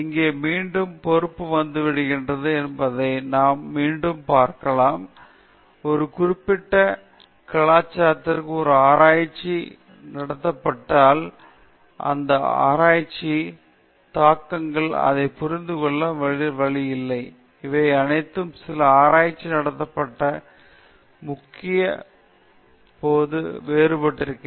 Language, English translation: Tamil, Here is again we could see responsibility coming in; one has be careful about the cultural factors, because when a research is conducted in a one particular culture, the implications of that research, the way in which it is understood, all will be different when it is the same research is conducted in some certain other culture